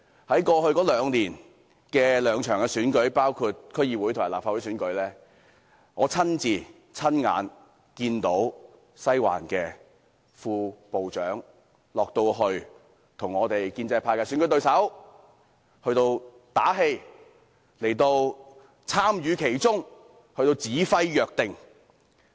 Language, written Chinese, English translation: Cantonese, 在過去兩年舉行的兩場選舉中，包括區議會和立法會選舉，我親眼看見"西環"的副部長落區為建制派的選舉對手打氣，並參與其中，指揮若定。, In the two elections held in the past two years including the elections of the District Councils and the Legislative Council I saw with my own eyes the Deputy Director of Western District visited the district to cheer up pro - establishment election opponents; he was involved and he gave directions